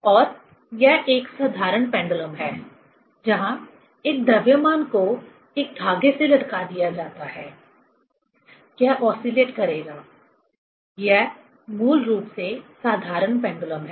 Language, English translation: Hindi, And this is a simple pendulum where a mass is hanged from a thread; it will oscillate; this is basically simple pendulum